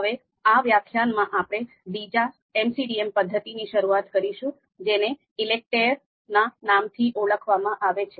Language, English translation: Gujarati, Now in this particular lecture, we are going to start our discussion on one another MCDM method that is ELECTRE